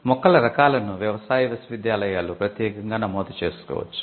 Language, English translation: Telugu, Plant varieties could be registered specially by agricultural universities